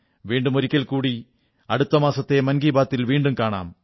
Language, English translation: Malayalam, Once again next month we will meet again for another episode of 'Mann Ki Baat'